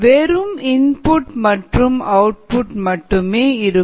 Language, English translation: Tamil, so in this case, there is only input, there is no output